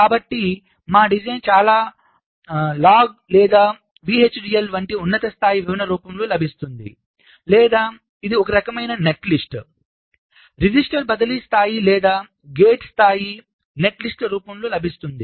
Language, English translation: Telugu, so our design is available either in the form of a high level description, like in verilog or vhdl, or it is available in the form of some kind of a netlist, register, transfer level or gate level netlist